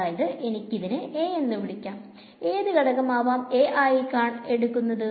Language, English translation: Malayalam, So, I can call this A of which component of A is going to come